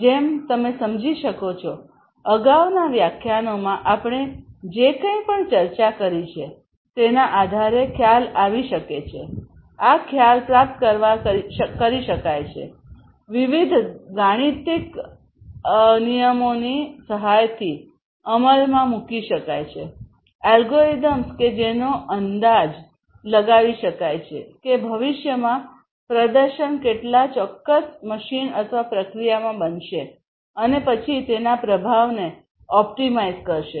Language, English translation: Gujarati, So, as you can understand, as you can realize based on whatever we have gone through in the previous lectures, this concept can be achieved it can be implemented with the help of incorporation of different algorithms; algorithms that can estimate how much the performance is going to be of a particular machine or a process in the future and then optimizing its performance